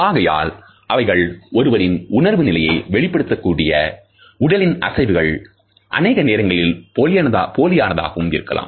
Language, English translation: Tamil, So, they are the movements of the body that tell us about the emotional state a person is experiencing, but more often faking